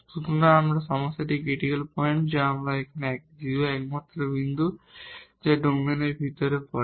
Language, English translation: Bengali, So, our critical point of the problem here at 0 the only point which falls inside the domain